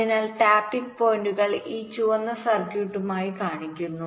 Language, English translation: Malayalam, so the tapping points are shown as these red circuits